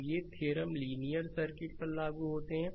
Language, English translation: Hindi, So, these theorems are applicable to linear circuit